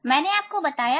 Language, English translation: Hindi, I explained you